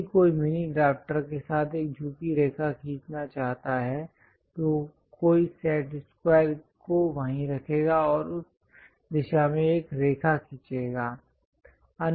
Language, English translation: Hindi, If one would like to draw an inclined line with mini drafter, one will one will keep the set square there and draw a line in that direction